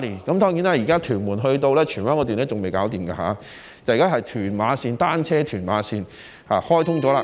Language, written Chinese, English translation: Cantonese, 當然，屯門到荃灣路段還未完成，現在開通的是屯馬單車線。, Of course the section from Tuen Mun to Tsuen Wan has not been completed yet while the Tuen Mun - Ma On Shan cycle track is now open